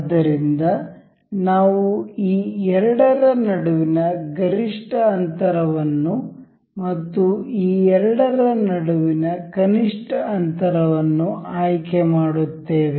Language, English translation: Kannada, So, we will select a maximum distance between these two and a minimum distance between these two